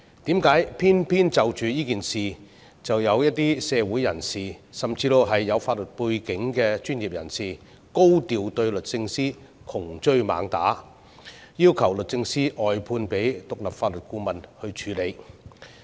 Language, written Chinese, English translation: Cantonese, 為何偏偏就着這件事，卻有一些社會人士，甚至有法律背景的專業人士高調對律政司窮追猛打，要求律政司外判給獨立法律顧問處理？, Why are some members of the community and even professionals with a legal background in hot pursuit behind DoJ over this very case urging DoJ to brief it out to an independent legal adviser?